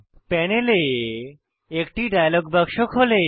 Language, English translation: Bengali, A dialog box opens on the panel